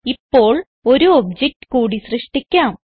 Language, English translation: Malayalam, Now, let us create one more object